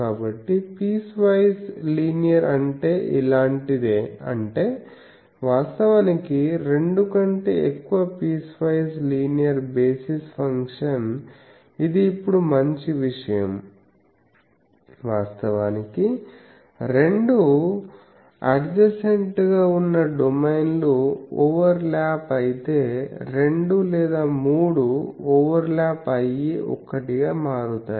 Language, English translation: Telugu, So, piecewise linear means something like this so; that means, over two actually piecewise linear basis function is these now this is a good thing actually piecewise linear means over two adjacent domain it has over lapping two or three people make that from a one